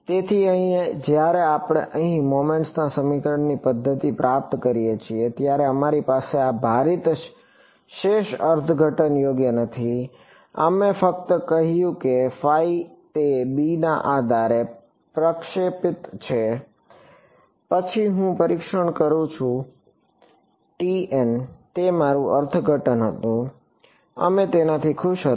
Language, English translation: Gujarati, So, here when we have derived the method of moments equation over here, we did not have this weighted residual interpretation right, we just said phi is projected on basis b then I do testing along t m that was my interpretation we were happy with it